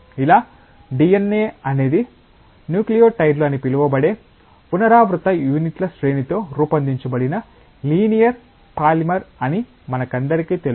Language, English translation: Telugu, Like, all of us know that DNA is a linear polymer made up of a sequence of repeating units known as nucleotides